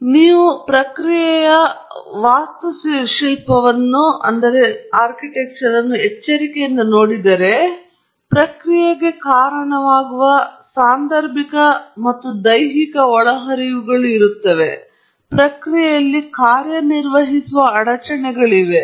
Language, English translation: Kannada, So, if you carefully look at the process architecture, there are inputs which are causal and physical inputs going into the process, and then, there are disturbances acting on the process